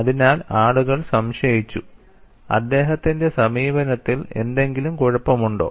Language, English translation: Malayalam, So, people are doubting, is there anything wrong in his approach